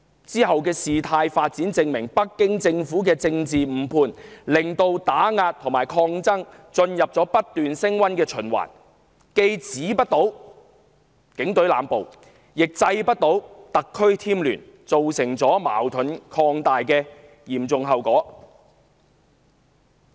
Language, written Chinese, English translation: Cantonese, 往後的事態發展證明，北京政府的政治誤判令打壓和抗爭進入不斷升溫的循環，既止不了警隊濫捕，亦制不了特區添亂，造成矛盾擴大的嚴重後果。, It is evident in the ensuing developments that the political misjudgment of the Beijing Government has given rise to an ever - escalating cycle of suppression and resistance and with the arbitrary arrests by the Police Force remaining unchecked and the SAR Government not being stopped from adding to the chaos led to the dire consequence of expanding conflicts